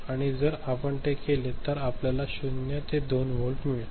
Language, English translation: Marathi, And if you do that, you will get 0 to 2 volt